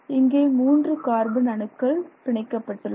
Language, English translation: Tamil, So you can see every carbon atom atom here